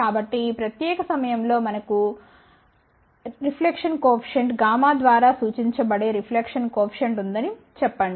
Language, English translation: Telugu, So, at this particular point let say we have a reflection coefficient which is represented by gamma